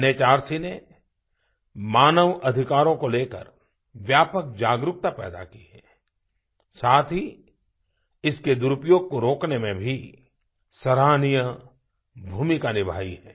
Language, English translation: Hindi, NHRC has instilled widespread awareness of human rights and has played an important role in preventing their misuse